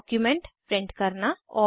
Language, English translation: Hindi, Lets open a document